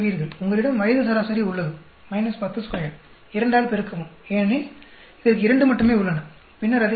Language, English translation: Tamil, You have the age average minus 10 square, multiply by 2 because there are only 2 for this, then add it up